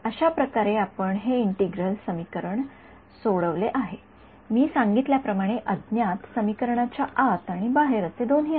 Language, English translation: Marathi, This is how we had solved this integral equation, as I mentioned the unknown is both outside and inside the integral